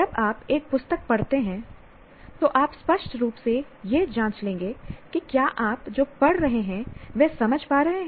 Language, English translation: Hindi, When you read a book, you will obviously check that you are understanding what you are reading